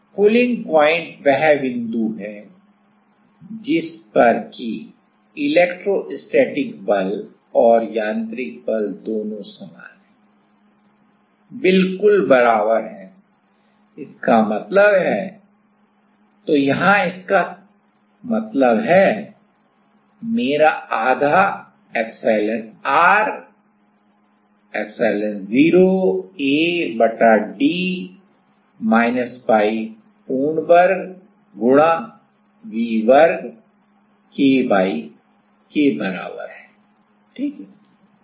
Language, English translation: Hindi, From pulling point I know that the electrostatic force and the mechanical forces are mechanical force are both are same, exactly same; that means, my so here that means, my half of epsilonr epsilon0 A by d minus y whole square into V square is equals to K y ok